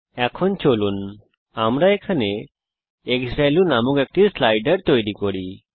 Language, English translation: Bengali, Now let us create a slider here named xValue